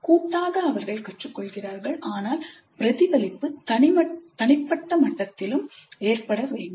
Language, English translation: Tamil, Collectively they learn but this reflection must occur at individual level also